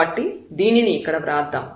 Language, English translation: Telugu, So, let us write down this here